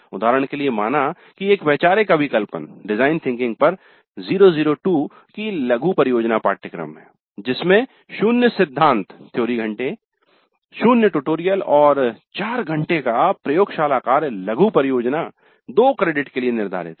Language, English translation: Hindi, Example, consider a zero zero two mini project course on design thinking, zero theory hours, zero tutorials and four hours of laboratory work devoted to the mini project, two credits